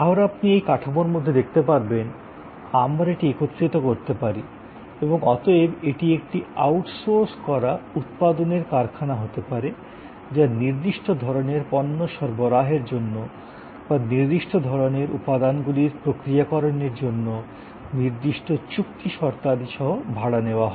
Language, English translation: Bengali, Again as you can see with in this frame work, we can combine this and therefore, this can be kind of an outsourced manufacturing facility taken on rent including certain contractual conditions for supply of certain types of goods or processing of certain kind of components and so on